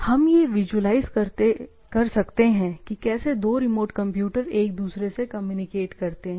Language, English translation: Hindi, So, a way to visualize, how two remote computers talk to each other, right